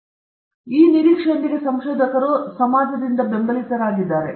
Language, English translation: Kannada, So, with that expectation researchers are supported by the society